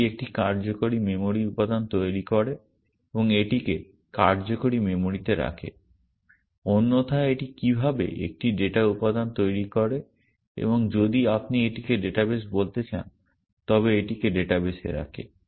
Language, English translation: Bengali, It creates a working memory element and puts it into the working memory, how it otherwise it creates a data element and puts it in the database if you want to call it a database